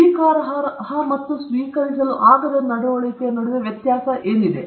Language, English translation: Kannada, How to distinguish between acceptable and unacceptable behavior